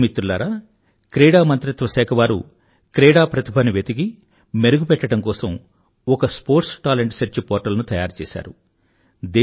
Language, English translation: Telugu, Young friends, the Sports Ministry is launching a Sports Talent Search Portal to search for sporting talent and to groom them